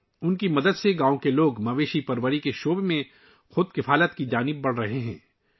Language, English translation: Urdu, With their help, the village people are moving towards selfreliance in the field of animal husbandry